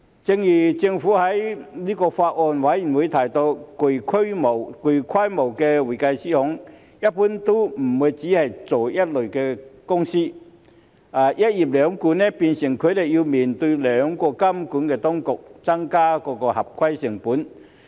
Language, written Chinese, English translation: Cantonese, 正如政府在法案委員會提到，具規模的會計師行一般都不會只是做一類公司，"一業兩管"，變成他們要面對兩個監管當局，增加合規成本。, As the Government mentioned in the Bills Committee sizeable accounting firms generally do not work with only one type of companies and given two regulatory bodies for one profession they have to face two regulatory bodies and increased compliance costs